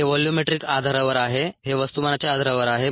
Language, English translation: Marathi, this is on a ah, this is on a volumetric basis, this is on a mass basis